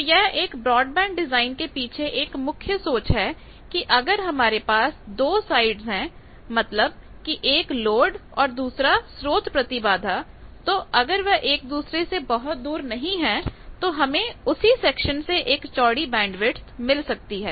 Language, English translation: Hindi, Now, this is the key idea for broadband design that if I have the two sides that means, load side and source side impedance's they are not very far away then I have a wider bandwidth from the same section